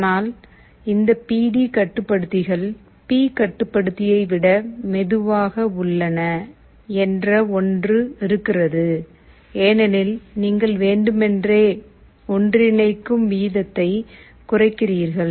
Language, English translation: Tamil, But one thing is there; these PD controllers are slower than P controller, because you are deliberately slowing the rate of convergence